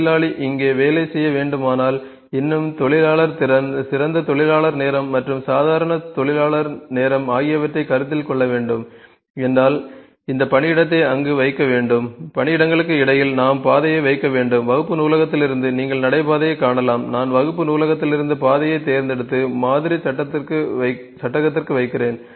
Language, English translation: Tamil, If the worker has to work here and the worker still the worker capacity the ideal worker time and the normal worker time those things are to be considered then this workplace is to be put there, between the workplace we need to put footpath, you can see the foot footpath here, I am picking footpath from here and putting here